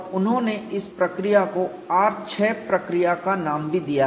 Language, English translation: Hindi, And they have also named the procedure as R6 procedure